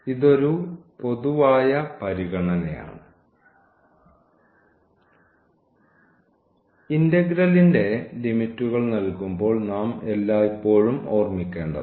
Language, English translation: Malayalam, So, this is a general consideration which we should always keep in mind while putting the limits of the of the integral